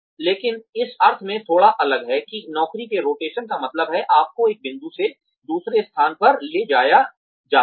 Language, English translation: Hindi, But, slightly different in the sense that, job rotation means, you are moved from one point to another